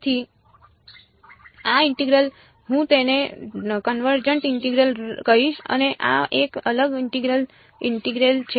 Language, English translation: Gujarati, So, this integral I will call it a convergent integral and this is a divergent integral